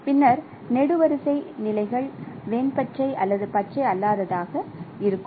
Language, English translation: Tamil, Whereas a column can be denoted as either green or non green